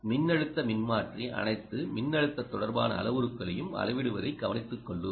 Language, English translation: Tamil, the current transformer, we will take care of measuring all the current related parameters